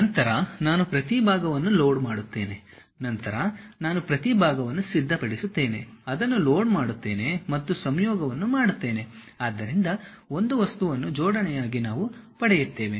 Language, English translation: Kannada, Then, I load each individual part, I will prepare each individual part, load it and make a mating, so that a single object as assembly we will get it